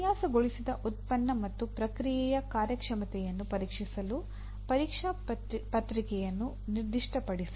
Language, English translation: Kannada, Specify the testing process to check the performance of the designed product and process